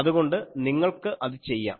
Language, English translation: Malayalam, , so that you can will be able to do